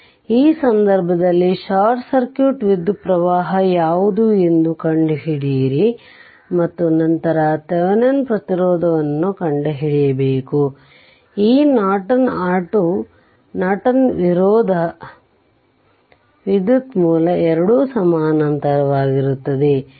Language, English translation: Kannada, So, in this case what we will do we have to find out that what is short circuit current right and then we have to find out Thevenin resistance and this Norton and your Thevenin Norton resistance current source both will be in parallel right